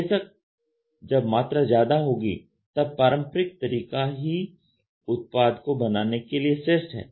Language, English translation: Hindi, Of course, when more the volumes are there conventional is the best method of making it